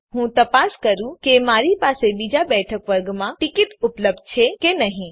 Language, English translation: Gujarati, So let me check if i have tickets available under second sitting..